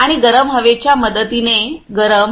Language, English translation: Marathi, And hot with the help of hot air